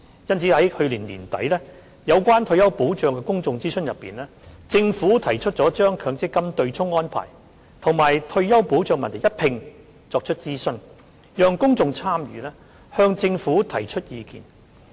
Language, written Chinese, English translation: Cantonese, 因此，在去年年底有關退休保障的公眾諮詢中，政府提出將強積金對沖安排與退休保障問題一併作出諮詢，讓公眾參與，向政府提出意見。, For this reason in a public consultation on retirement protection held late last year the Government proposed to conduct a joint consultation on the MPF offsetting arrangement and retirement protection . Members of the public were invited to participate in the consultation and relay their views to the Government